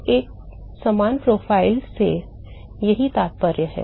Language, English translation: Hindi, So, that is what one means by a similar profile